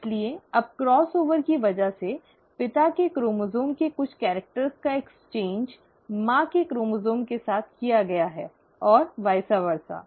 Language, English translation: Hindi, So now because of the cross over, some characters of the father’s chromosome have been exchanged with the mother’s chromosome and vice versa